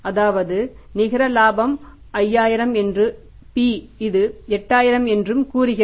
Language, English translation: Tamil, Net profit before the tax is 5,000 and this is 8,000